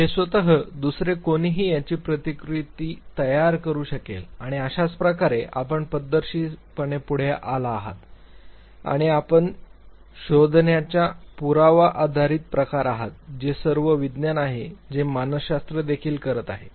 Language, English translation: Marathi, You can do it yourself, somebody else can replicate it and this is how you systematically come forward with and evidence based type of a finding, this is something that all science as do and this what psychology has also be doing